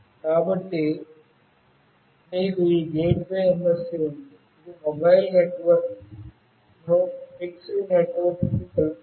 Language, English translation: Telugu, So, you have this gateway MSC, which connects mobile network to a fixed network